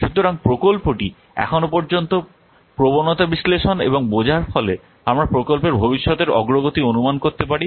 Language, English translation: Bengali, So analyzing and understanding the trends the project so far allows us to predict the future progress of the project